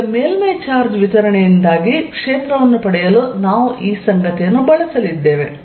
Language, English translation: Kannada, Now, we are going to use this fact to derive field due to a surface charge distribution